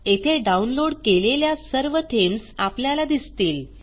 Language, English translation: Marathi, Here all the themes which have been downloaded are visible